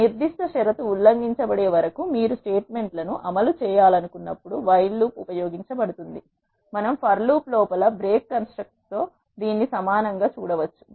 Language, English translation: Telugu, A while loop is used whenever you want to execute statements until a specific condition is violated, we can see it as an akin to for loop with if break construct